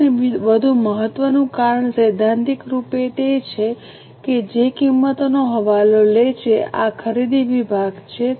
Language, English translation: Gujarati, The second and more important cause is theoretically those which are in charge of prices, this is a purchase department